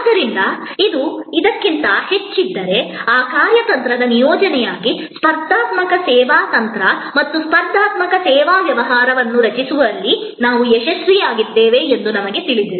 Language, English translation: Kannada, So, if this is higher than this, then we know that we have succeeded in creating a competitive service strategy and competitive service business as a deployment of that strategy